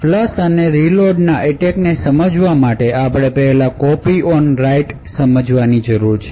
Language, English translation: Gujarati, So to understand the flush and reload attacks we would 1st need to understand something known as Copy on Write